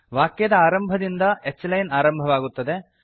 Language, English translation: Kannada, H line begins from the beginning of the sentence